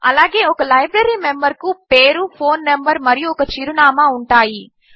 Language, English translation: Telugu, Similarly, a Library member has a Name, phone number and an address